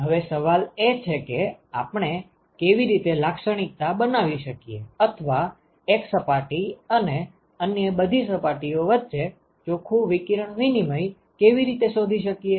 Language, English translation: Gujarati, Now, the question is how do we characterize or how do we find the net radiation exchange between one surface and all other surfaces